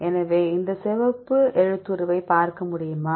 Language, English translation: Tamil, So, can you see this red font